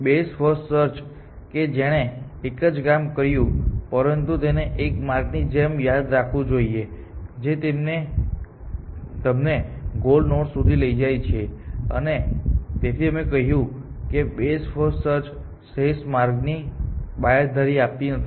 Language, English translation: Gujarati, Now best first search what have done the same thing, but it would have remember this as the path which takes you to the goal node, and that is why we said that best first search does not guarantee the optimal paths